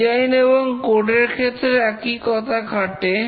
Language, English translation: Bengali, Similar is the design and the code